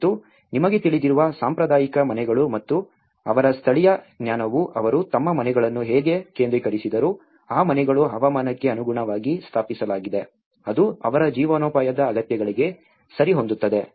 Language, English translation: Kannada, And the traditional houses you know and their indigenous knowledge how they oriented their houses, they are climatically efficient, how it suits their livelihood needs